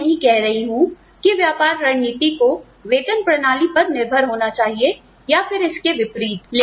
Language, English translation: Hindi, I would not say, business strategy should be dependent on pay systems, or the other way around